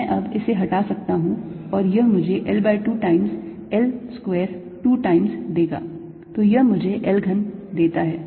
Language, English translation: Hindi, i can remove this now and this gives me l by two times, l square, two times